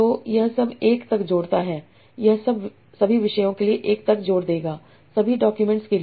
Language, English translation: Hindi, This will all add up to one for all the topics for all the documents